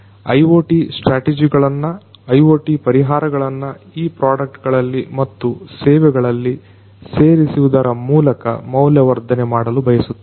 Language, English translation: Kannada, We want to add value by integrating IoT strategies, IoT solutions to these products and services